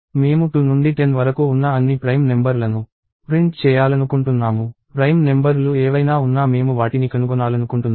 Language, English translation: Telugu, I want to print all the prime numbers starting at 2 up to 10; whatever prime numbers are there I want to find them out